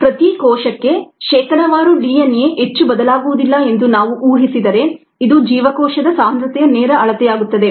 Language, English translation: Kannada, and if we assume that the percentage DNA per cell does not vary too much, then this becomes a direct measure of the cell concentration it'self